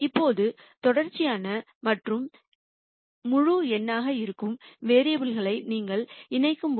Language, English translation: Tamil, Now, when you combine variables which are both continuous and integer